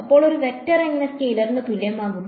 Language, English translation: Malayalam, So, how can a vector be equal to scalar